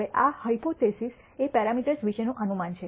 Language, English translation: Gujarati, Now, this hypothesis is a postulate about the parameters